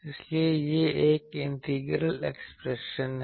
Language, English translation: Hindi, So, that is why it is an integral equation